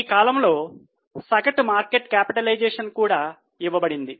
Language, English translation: Telugu, Average market capitalization over the period is also given